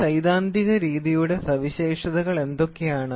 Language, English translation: Malayalam, So, what are the features of a theoretical method